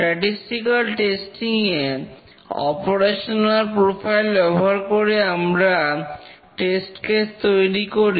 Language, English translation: Bengali, In statistical testing, we use the operational profile and design test cases